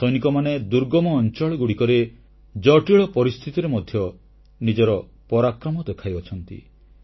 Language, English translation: Odia, Our soldiers have displayed great valour in difficult areas and adverse conditions